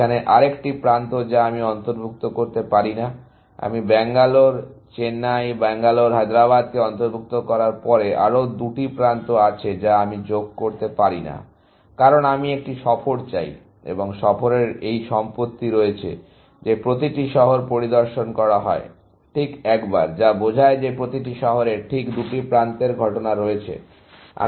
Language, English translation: Bengali, Another edge here, that I cannot include, after I have included Bangalore Chennai and Bangalore Hyderabad, there are two more edges that I cannot add, because I want a tour, and the tour has this property; that every city is visited, exactly once, which implies that every city has exactly, two edges incident on it